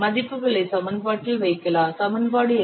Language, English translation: Tamil, Please put these values in the previous equation you will get this